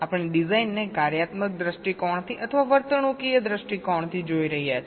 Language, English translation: Gujarati, we are looking at the design from either a functional point of view or from a behavioural point of view